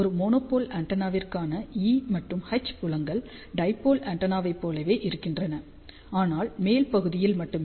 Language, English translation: Tamil, So, E and H fields for a monopole antenna are exactly same as dipole antenna, but only in the upper half